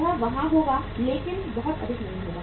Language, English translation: Hindi, It will be there but not be very high